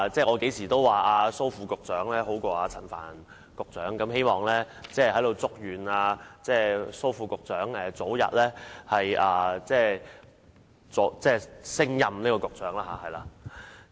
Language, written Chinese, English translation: Cantonese, 我經常說蘇副局長比陳帆局長好，我祝願蘇副局長早日升任局長。, As I have often said Under Secretary Dr Raymond SO is better than Secretary Frank CHAN . I hope Dr SO can be promoted to become the Secretary soon